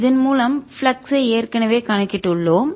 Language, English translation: Tamil, we've already calculated the flux through this